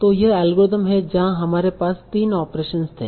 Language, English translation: Hindi, So that is the algorithm where we had the, we had three operations